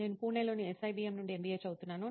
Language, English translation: Telugu, And I am pursuing my MBA from SIBM, Pune